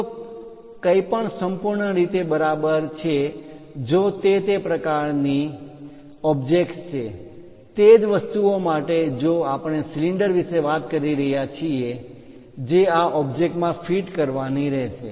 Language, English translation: Gujarati, Anything above is perfectly fine if it is that kind of objects, for the same thing if we are talking about cylinder which has to be fixed in these object